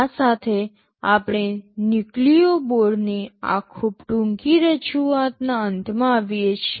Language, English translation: Gujarati, With this we come to the end of this very short introduction of Nucleo board